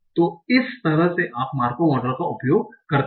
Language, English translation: Hindi, So what is a Markov model